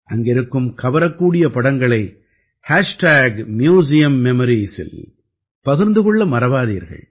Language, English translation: Tamil, Don't forget to share the attractive pictures taken there on Hashtag Museum Memories